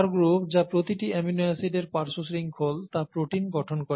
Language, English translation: Bengali, And the side chains that are part of each amino acid R group that constitute the protein